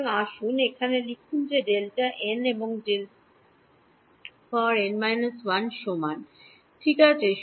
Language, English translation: Bengali, So, let us write that over here D n minus D n minus 1 right is equal to